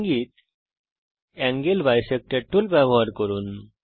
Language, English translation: Bengali, Hint Use Angle Bisector tool